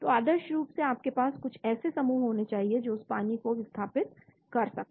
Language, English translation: Hindi, so ideally you should have some groups which can displace that water